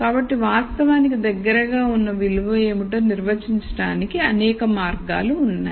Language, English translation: Telugu, So, there are many ways of actually defining what the most likely value is